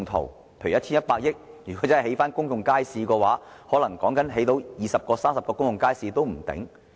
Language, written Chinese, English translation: Cantonese, 例如使用 1,100 億元興建公眾街市的話，說不定可以興建二三十個公眾街市。, For example if we spend 110 billion to build public markets we may be able to build 20 to 30 of them